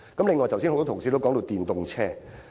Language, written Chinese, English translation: Cantonese, 此外，多位同事剛才提到電動車。, Besides quite a number of colleagues have talked about electric vehicles